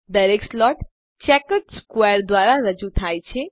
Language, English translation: Gujarati, Each slot is represented by a checkered square